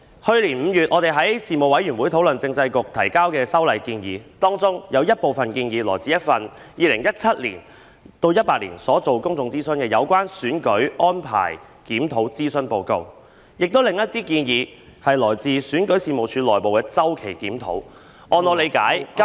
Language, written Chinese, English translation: Cantonese, 去年5月，我們在事務委員會討論政制及內地事務局提交的修例建議，當中有部分建議來自 2017-2018 年度進行的《有關選舉安排檢討的諮詢報告》，另一些建議則來自選舉事務處內部的周期檢討，據我理解......, In May last year we discussed in the Panel the amendments proposed by the Constitutional and Mainland Affairs Bureau . Some of the proposals were made based on the Consultation Report on Review of Electoral Arrangements conducted in 2017 - 2018; others came from the internal periodical review of the Registration and Electoral Office . To my understanding